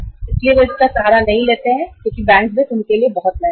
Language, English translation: Hindi, So they do not resort to the bank finance because it is very very expensive